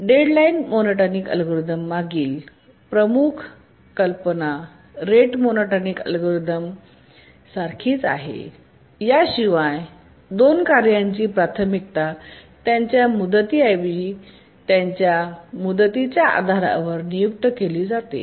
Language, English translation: Marathi, It's very similar to the rate monotonic algorithm, excepting that the priorities to tasks are assigned based on their deadlines rather than their periods